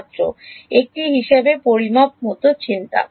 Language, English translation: Bengali, Thought like measure as a